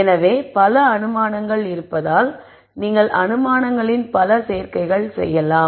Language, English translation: Tamil, So, since there are so many assumptions, there are many many combinations of assumptions you can make